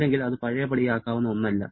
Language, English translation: Malayalam, Otherwise, it is not a reversible one